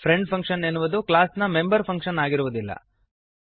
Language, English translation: Kannada, A friend function is not a member function of the class